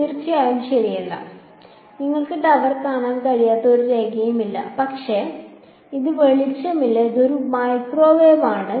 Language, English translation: Malayalam, Of course not right, there is no line of sight you cannot see the tower, but thankfully this is, it is not light it is a microwave